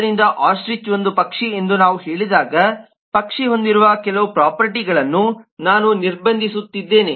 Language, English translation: Kannada, so when we say ostrich is a bird i am actually restricting some of the properties that bird has